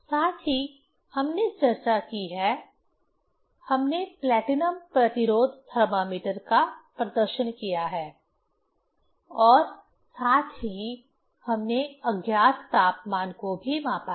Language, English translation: Hindi, Also, we have discussed, we have demonstrated the platinum resistance thermometer and also we have measured the unknown temperature